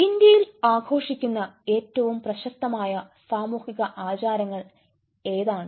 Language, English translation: Malayalam, what are the most famous social rituals that is celebrated in india